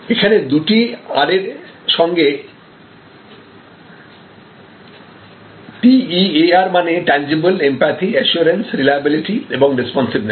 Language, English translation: Bengali, You know TEAR with double R, this is a tangible, empathy, assurance, reliability and responsiveness